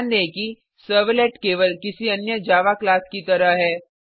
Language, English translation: Hindi, Notice that a servlet is just like any other Java class